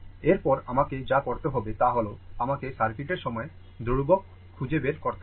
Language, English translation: Bengali, Next, what we have to do is, we have to find out the time constant of the circuit